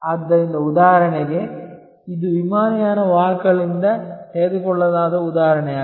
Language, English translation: Kannada, So, for example, this is a example taken from airline carriers